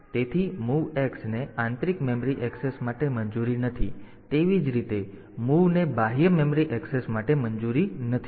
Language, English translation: Gujarati, So, mov x is not allowed for internal memory access; similarly mov is not allowed for external memory access